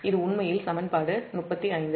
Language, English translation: Tamil, this is equation thirty one